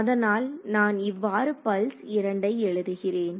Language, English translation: Tamil, So, I wrote it like this pulse 2